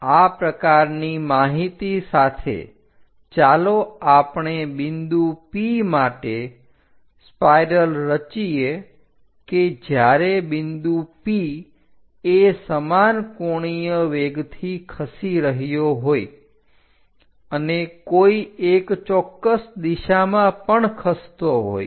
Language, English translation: Gujarati, With this kind of data let us construct a spiral for point P if it is moving in uniform angular velocity and also moves along a particular direction